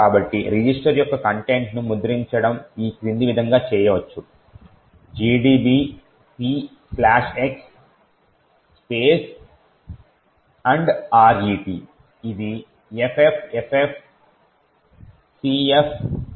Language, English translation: Telugu, So, printing the content of register can be done as follows P slash x ampersand RET which is FFFFCF18